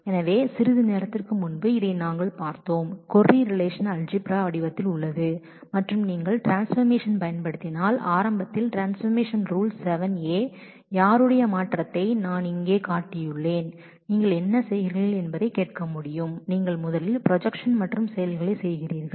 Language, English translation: Tamil, So, a while ago we saw this so, this is what the query is in the relational algebra form and if you use the transformation rule of select early the rule 7a, whose transformation I have just shown here then you should be able to hear what you are doing is you are first doing a join of teaches and the projection of course